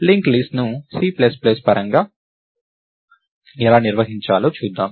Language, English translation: Telugu, So, lets see how to define the linked list in a C plus plus way